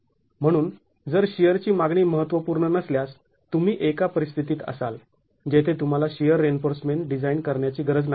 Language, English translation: Marathi, So if the share demand is not significant, you might be in a situation where you don't have to design shear reinforcement